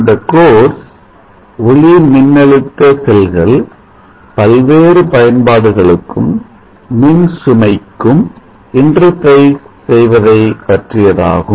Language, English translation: Tamil, This course deals with interfacing the photovoltaic cells to applications and loads